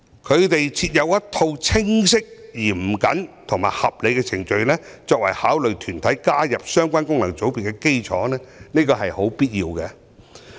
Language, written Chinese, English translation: Cantonese, 他們設有一套清晰、嚴謹和合理的程序，作為考慮團體加入相關功能界別的基礎，這是必要的。, They have established a set of clear stringent and reasonable procedure as the basis for determining if a body is to be included in a certain FC . This practice is necessary